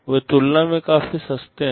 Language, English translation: Hindi, They are pretty cheap in comparison